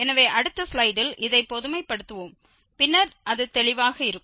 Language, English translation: Tamil, So, we will generalize this in the next slide and then it will be clearer